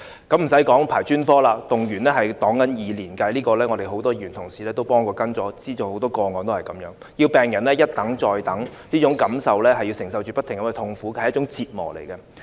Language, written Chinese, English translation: Cantonese, 更不用說輪候專科了，動輒數以年計，很多議員同事均曾幫忙跟進，知道很多個案情況也是這樣，要病人一等再等，不斷承受這種痛苦，是一種折磨。, Needless to say the waiting time for specialist outpatient clinics were even worse . Patients needed to wait for years . Many Members have helped followed up such cases and they know many cases are of similar situation